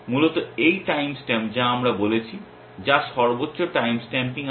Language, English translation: Bengali, Is basically this time stamp that we have said which has the highest time stamping